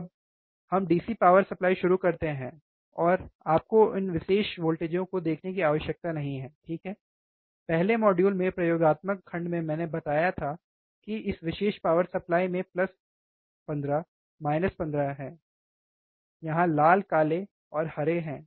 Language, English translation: Hindi, Now, we can start the DC power supply, and you do not have to see this particular voltages ok, do not do not concentrate this in the first module in the experimental section I have see, I have said that this particular power supply it has plus 15 minus 15 here red black and green, right